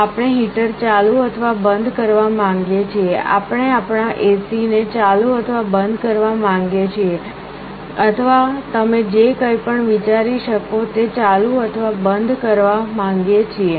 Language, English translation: Gujarati, We may want to turn on or turn off a heater, we want to turn on or turn off our AC machine or anything you can think of